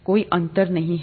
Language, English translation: Hindi, There’s no difference